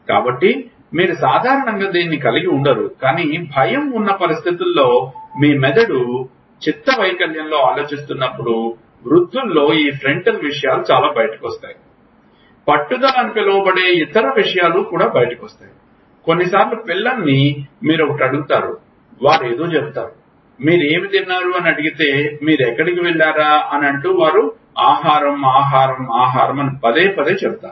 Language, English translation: Telugu, So, you normally do not have it, but in situation of fear you go back to startle reflex when old people when the brain is thinking in dementia lot of this frontal things come out like, other something called perseveration comes out, you will ask one question and they will say something what did you eat food where did you go they will keep saying food, food, food, why